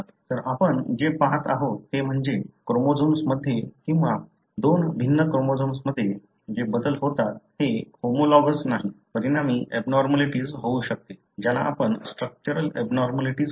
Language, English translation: Marathi, So, what we are looking at is that how changes within a chromosome or between two different chromosomes, which are not homologues, can result in abnormalities, which you call as structural abnormalities